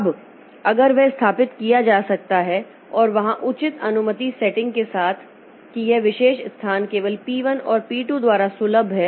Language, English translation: Hindi, Now, if that can be established and with a proper permission setting that this particular location is accessible by P1 and P2 only